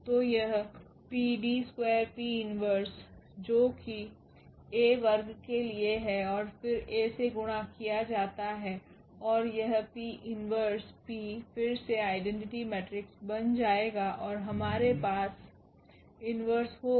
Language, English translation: Hindi, So, this PD square P inverse that is for A square and then again multiplied by A and this P inverse P will again become the identity matrix and we will have PDQ P inverse